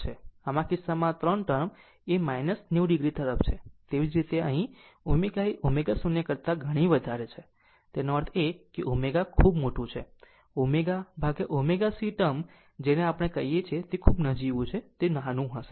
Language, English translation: Gujarati, So, in this case 3 term will tends to minus 90 degree, similarly here omega is much much higher than omega 0 ; that means, with this omega is very large this omega upon omega C term is what we call is negligible it will it is very small